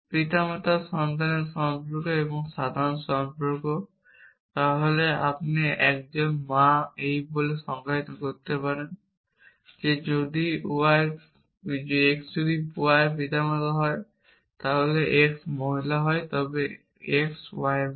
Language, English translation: Bengali, So, there is only 1 relation parent child relationship and general relationship then you can define a mother at saying that x is the mother of y if x is the parent of y and x is female